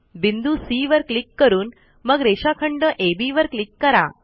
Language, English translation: Marathi, Click on the point C and then on segment AB